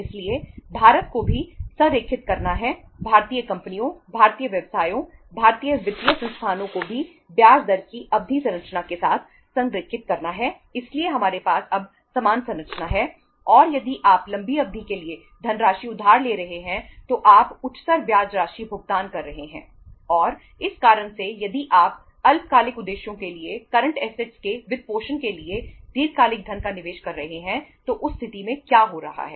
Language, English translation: Hindi, So India also has to align, Indian companies, Indian businesses, Indian financial institutions also have to align with the term structure of interest rate so we have now the same structure and if you are borrowing the funds for the longer duration you are paying the higher amount of interest and because of that reason if you are investing long term funds for the short term purposes for the financing of the current assets, in that case what is happening